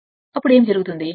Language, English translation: Telugu, Then current actually what will happen